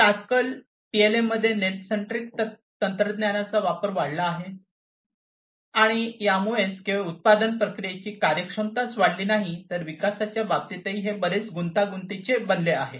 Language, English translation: Marathi, So, net centric technologies have increased in their use in PLM nowadays, and that has also not only improved not only increased the efficiency of the production process, but has also made it much more complex, in terms of development